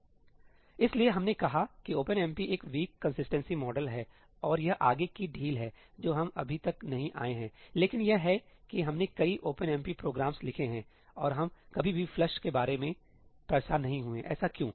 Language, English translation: Hindi, So, we said OpenMP is a weak consistency model and this is further relaxations which we have not come to yet, but the crux is that we have written so many OpenMP programs and we never bothered about ëflushí why is that